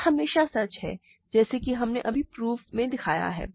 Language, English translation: Hindi, This is always true as we showed just now in this proof